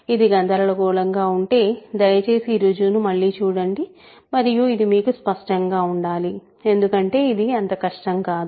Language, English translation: Telugu, So, if it is confusing please just go over this proof again and it should be clear to you because it is not very difficult at this point